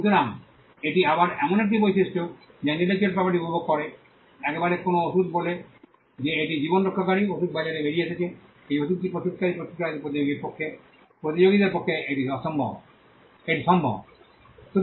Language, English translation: Bengali, So, this is again a trait which intellectual property enjoys, once a medicine say it is a lifesaving medicine is out in the market it is possible for the competitors of the manufacturer who manufactured this medicine